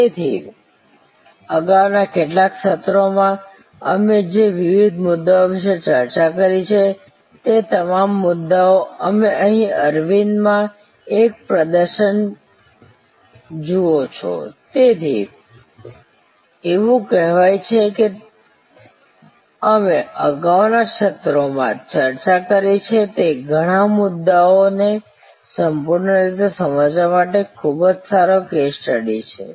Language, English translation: Gujarati, So, all the different issues that we have talked about in some of the previous sessions, you see a display here at Aravind, so it is say, very good case study to fully understand many of the issues that we have discussed in the previous sessions